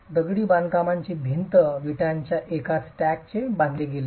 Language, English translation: Marathi, The masonry wall is constructed with a single stack of bricks